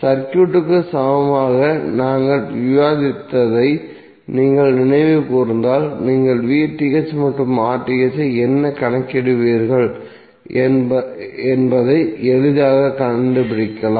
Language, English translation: Tamil, So if you recollect what we discussed in case of equaling circuit, you can easily figure out that how you will calculate VTh and RTh